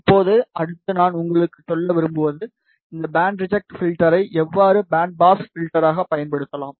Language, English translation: Tamil, Now, next I want to tell you, how this band reject filter can be used as a band pass filter